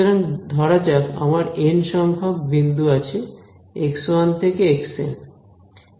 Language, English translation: Bengali, So, let us say I have n points x 1 through x n right